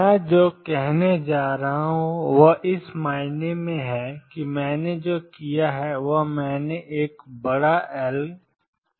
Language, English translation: Hindi, What I am going to do is in a sense what I have done is I have taken a large minus L, a large plus L